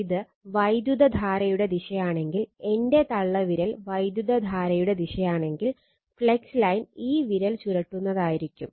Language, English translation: Malayalam, So, if the if this is the direction of the current, if my thumb is the direction of the current, then flux line will be the curling this curling finger right